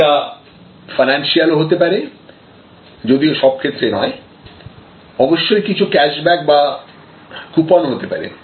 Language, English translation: Bengali, So, it can be financial, usually this is not the case, but of course, there are some cash backs or coupons, etc